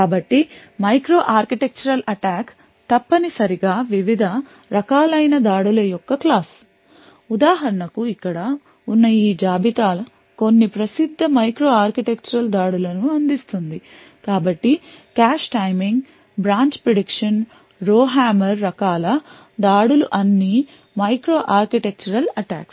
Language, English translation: Telugu, So, a micro architectural attack is essentially a class of different types of attacks for example this list here provides some of the famous micro architectural attacks so the cache timing, branch prediction, row hammer types of attacks are all micro architectural attacks